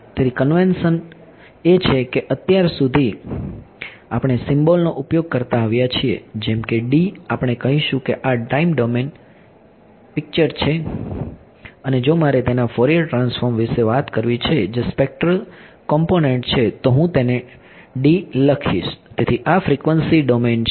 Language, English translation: Gujarati, So the convention is, so far we have been using symbols like D we will say that this is the time domain picture and if I want to talk about its Fourier transform that is a spectral component I will write it as D tilde ok, so this is the frequency domain ok